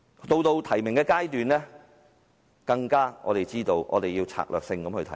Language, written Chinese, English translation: Cantonese, 到了提名階段，我們更明白必須策略性地提名。, When it comes to nomination we are well aware of the importance to nominate strategically